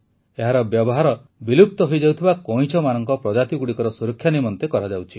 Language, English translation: Odia, They are being used to save near extinct species of turtles